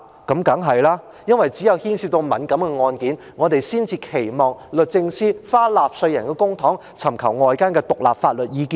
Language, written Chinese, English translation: Cantonese, 當然是，因為只有牽涉到敏感案件，我們才期望律政司花納稅人付出的公帑，尋求外間的獨立法律意見。, Of course it is not because only when sensitive cases are involved do we expect DoJ to spend the public money from the pockets of taxpayers to seek outside independent legal advice